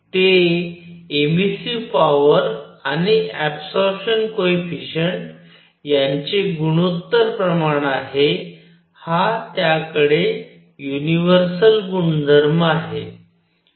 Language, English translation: Marathi, It is ratio of emissive power to absorption coefficient for all bodies, it has that universal property